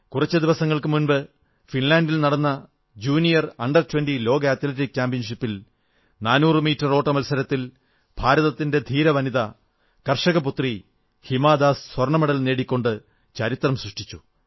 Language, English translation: Malayalam, Just a few days ago, in the Junior Under20 World Athletics Championship in Finland, India's brave daughter and a farmer daughter Hima Das made history by winning the gold medal in the 400meter race event